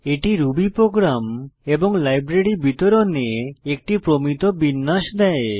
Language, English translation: Bengali, It provides a standard format for distributing Ruby programs and libraries